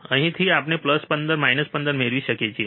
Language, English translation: Gujarati, Here we have plus 15 minus 15